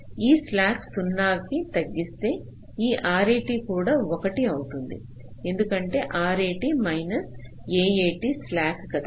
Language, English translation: Telugu, if you decrease this slack to zero, this r a t will also become one, because r a t minus a a t is slack